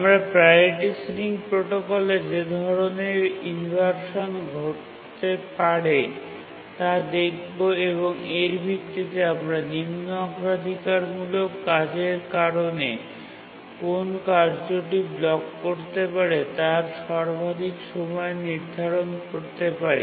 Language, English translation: Bengali, Now let's see what are the inversions that can occur in the priority ceiling protocol and based on that we can determine the maximum time for which a task can block due to lower priority tasks